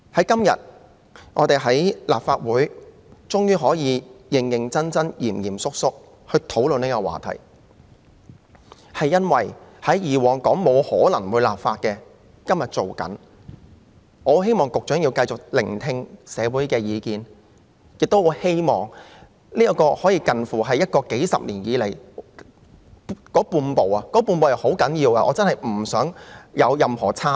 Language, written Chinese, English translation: Cantonese, 今天我們在立法會終於可以認真及嚴肅地討論這個話題，是因為過往認為沒有可能會立法的事情，現時正在進行立法，我希望局長能繼續聆聽社會的意見，亦很希望這可說是數十年來才踏出的半步——這是很重要的半步——真的不可有任何差池。, Today we can finally discuss this subject earnestly and solemnly in the Legislative Council because for matters we used to believe legislation would not be possible legislation is now being drawn up . I hope the Secretary can continue to listen to the views of the community and also hope very much that nothing will go amiss in this half step taken after several decades . This half step is very important